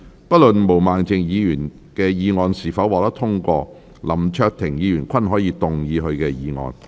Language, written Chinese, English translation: Cantonese, 不論毛孟靜議員的議案是否獲得通過，林卓廷議員均可動議他的議案。, Irrespective of whether Ms Claudia MOs motion is passed or not Mr LAM Cheuk - ting may move his motion